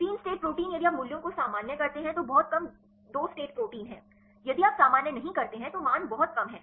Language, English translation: Hindi, 3 state proteins if you normalize the values are very less 2 state proteins, if you do not normalize the values are very less